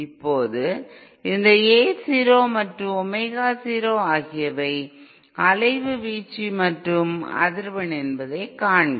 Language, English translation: Tamil, Now see this A 0 and Omega 0 are the amplitude and frequency at of oscillation